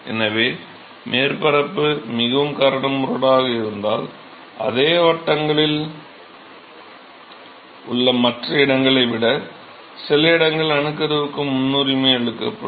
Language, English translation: Tamil, So, if t he if the surface is very rough then certain locations are preferred for nucleation over other location in the same circles